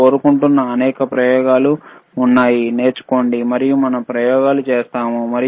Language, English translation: Telugu, tThere are several experiments that I want you to learn, and we will perform the experiments